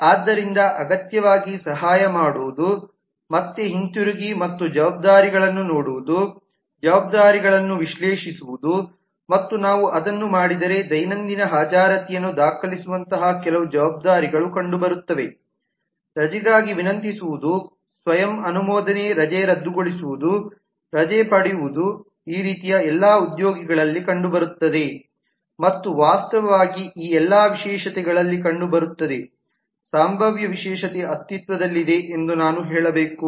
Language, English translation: Kannada, so what necessarily help is again going back and looking at the responsibilities, analyzing the responsibilities and if we do that we find that some responsibilities like recording daily attendance, requesting for leave, cancelling an approve leave for self, availing a leave all these are kind of are found in the employee and actually found in all of these specializations, potential specialization i should say that exist